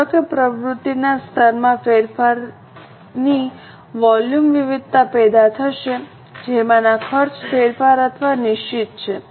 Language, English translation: Gujarati, Suppose the level of activity changes, the volume variance will be generated in which of the cost, variable or fixed